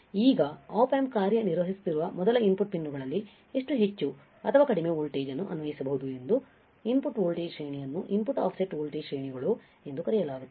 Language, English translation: Kannada, Now, input voltage range high how high or low voltage the input pins can be applied before Op amp does not function properly there is called input offset voltage ranges